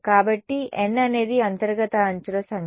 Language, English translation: Telugu, So, n is the number of interior edges